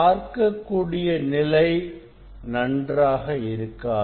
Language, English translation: Tamil, visibility will not be better